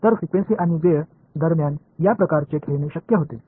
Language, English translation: Marathi, So, these kinds of playing between frequency and time become possible